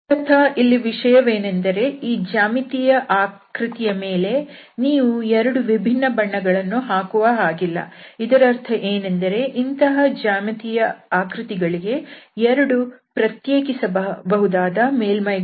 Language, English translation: Kannada, So, basically the idea is that this geometry here you cannot paint with 2 different colours or meaning that we do not have 2 distinguishable surfaces for such a geometry